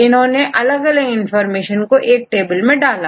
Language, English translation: Hindi, So, what they do they put different information in a table